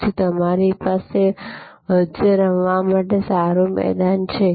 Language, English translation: Gujarati, So, that you have a good ground to play with in between